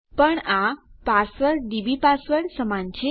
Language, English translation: Gujarati, But this password is equal dbpassword